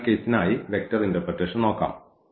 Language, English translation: Malayalam, So, let us look for the vector interpretation for this case as well